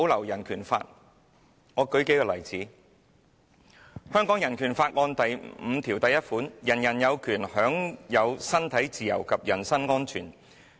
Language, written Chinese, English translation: Cantonese, 讓我舉數個例子，香港人權法案第五條第一款："人人有權享有身體自由及人身安全。, Let me cite a few examples . Article 51 of the Hong Kong Bill of Rights reads Everyone has the right to liberty and security of person